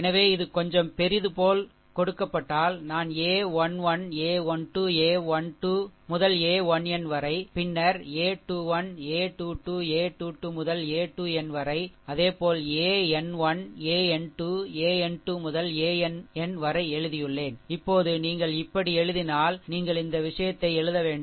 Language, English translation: Tamil, So, if it is given like little bit bigger I have written the a 1 1, a 1 2, a 1 3 up to a 1 n, then a 2 1, a 2 2, a 2 3 up to a 2 n, right similarly, a 3 1, a 3 2, a 3 3 up to a 3 n, and then a n 1, a n 2, a n 3 up to a n n